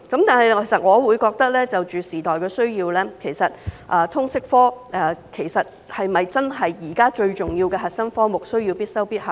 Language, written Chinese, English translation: Cantonese, 但是，就着時代的需要，其實通識科是否真的是現在最重要的核心科目，需要必修必考呢？, However as far as the needs of the times is concerned is LS really the currently most important core subject which has to be compulsory for public assessment?